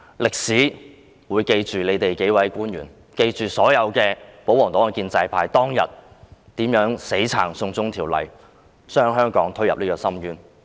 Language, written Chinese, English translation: Cantonese, 歷史會記住這數位官員，記住所有保皇黨和建制派議員當天如何死挺"送中"法例，把香港推進深淵。, History will remember these government officials; history will remember how the royalist and pro - establishment Members rendered their diehard support for the China extradition bill that day to push Hong Kong into an abyss